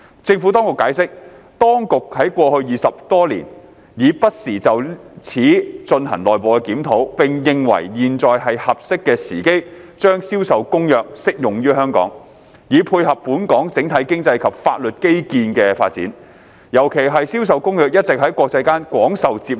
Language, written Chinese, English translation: Cantonese, 政府當局解釋，當局在過去20多年已不時就此進行內部檢討，並認為現在是合適的時機將《銷售公約》適用於香港，以配合本港整體經濟及法律基建的發展，尤其是《銷售公約》一直在國際間廣受接納。, The Administration explained that it had conducted internal reviews in this regard from time to time over the past 20 years or so and considered it opportune to apply CISG to Hong Kong to tie in with the development of the overall economic and legal infrastructure of Hong Kong particularly as CISG had been widely accepted in the international arena